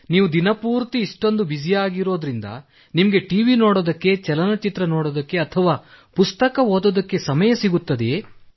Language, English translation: Kannada, If you are so busy during the day, then I'm curious to know whether you get time to watchTV, movies or read books